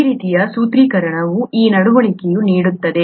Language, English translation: Kannada, This kind of a formulation would yield this behaviour